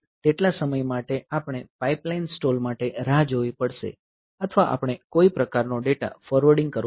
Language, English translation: Gujarati, So, for that much time we have to wait that is pipeline stall or we have to do some sort of data forwarding